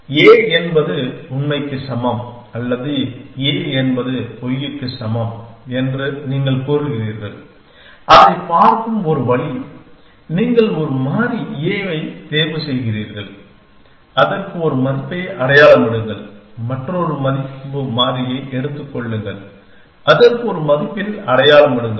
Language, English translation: Tamil, You say a is equal to true or a is equals to false that is one way of looking at it that you that you pick a variable a, sign a value to it, take another value variable sign a value to it